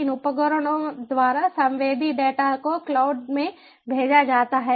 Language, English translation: Hindi, non time sensitive data send it to the cloud